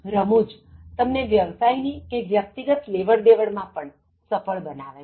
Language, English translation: Gujarati, Humour makes you successful in transactions, business transaction, personal transactions